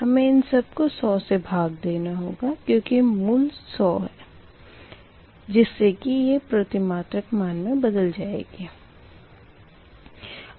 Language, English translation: Hindi, you have to divide all this thing by one hundred, because base is one hundred, such that they can be transform into per unit, right